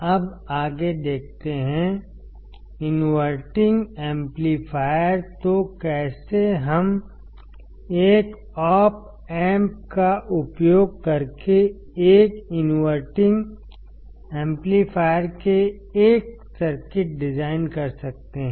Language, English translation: Hindi, Now, let us see further; the inverting amplifier; so, how we can design a circuit of an inverting amplifier using an Op amp